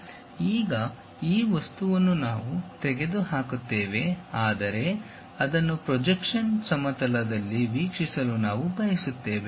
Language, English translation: Kannada, Now, this object we remove, but we would like to really view that on the projection plane